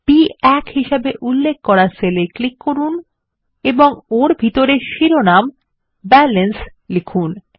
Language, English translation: Bengali, Click on the cell referenced as B1 and type the heading BALANCE inside it